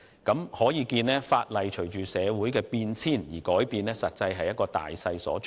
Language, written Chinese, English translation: Cantonese, 由此可見，法例隨着社會的變遷不斷改變，實在是大勢所趨。, Evidently it is a general trend for the legislation to be constantly changing along with social changes